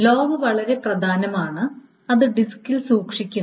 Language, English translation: Malayalam, So log, very important, is that log is maintained on the disk